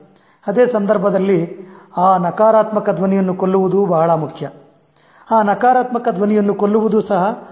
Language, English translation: Kannada, At the same time, it's very important to kill that negative voice